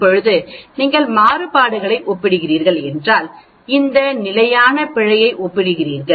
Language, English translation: Tamil, Now, if you are comparing variances that means, you are comparing these standard error